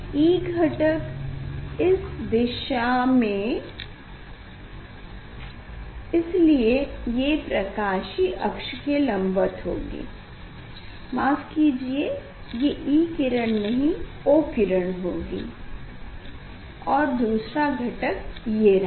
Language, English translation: Hindi, E component along this direction, so it is the normal to the optic axis it will be E ray oh sorry O ray and, another component is this